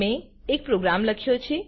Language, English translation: Gujarati, I have a written program